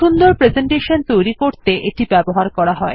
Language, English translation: Bengali, It is used to create powerful presentations